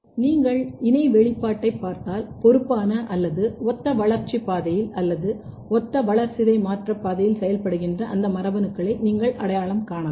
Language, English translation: Tamil, So, you if you combine data if you look the co expression then you can basically identify those genes which might be responsible or which might be functioning in a similar developmental pathway or similar pathway or similar metabolic pathway